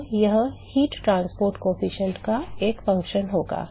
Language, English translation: Hindi, So, that will be a function of the heat transport coefficient